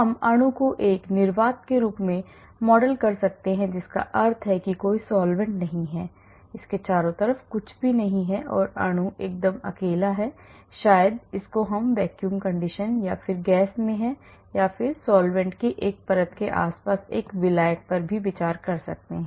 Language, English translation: Hindi, We can model the molecule in the form of a vacuum that means there are no solvents, nothing around it the molecule is all alone maybe it is in vacuum or it is in a gas phase or we can consider a solvent solvent surrounding 1 layer of solvent,2 layers of solvent and many layers of solvent